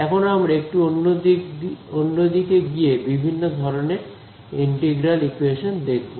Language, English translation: Bengali, So, we will just make a small detour to types of integral equations right